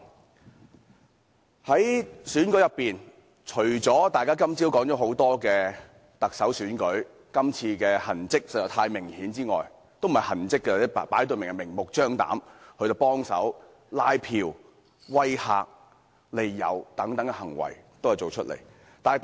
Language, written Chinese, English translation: Cantonese, 針對這次特首選舉，今早大家都說看到很多明顯的痕跡，其實，這算不上是痕跡，反而是明目張膽地作出拉票、威嚇和利誘等行為。, Concerning this Chief Executive Election Members have mentioned this morning that we have seen a lot of obvious traces . In fact these are not traces but blatant acts of canvassing intimidation and inducement etc